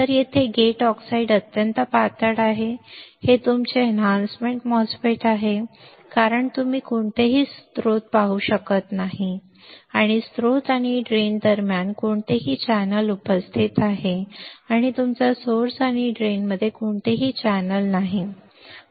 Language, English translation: Marathi, So, here the gate oxide is extremely thin this is your enhancement MOSFET because you cannot see any channel any channel present between your source and drain there is no channel between your source and drain easy